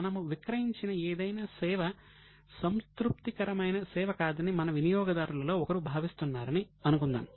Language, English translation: Telugu, Suppose one of our customer feels that whatever service we have given is not a satisfactory service